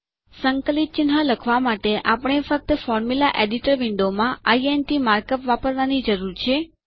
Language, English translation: Gujarati, To write an integral symbol, we just need to use the mark up int in the Formula Editor Window